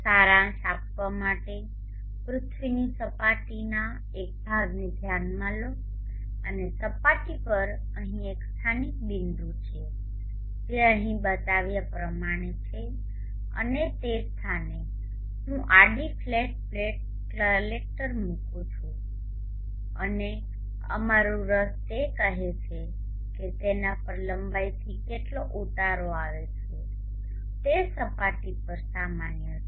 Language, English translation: Gujarati, To summarize consider a portion of the earth surface and on the surface there is a locality point as shown here and at that locality point I am placing a horizontal flat plate collector and out interest is to say how much amount of insulation falls on it perpendicularly normal to that surface